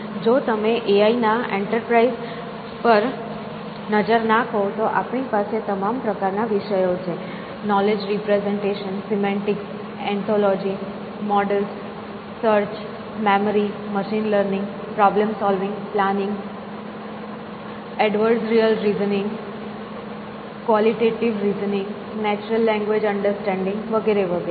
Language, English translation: Gujarati, If you look at the enterprise of AI, then we have all kinds of topics here, knowledge representations, semantics, anthology, models, search, memory, machine running, problem solving, planning, adversarial reasoning, qualitative reasoning, natural language understanding and all kinds of topics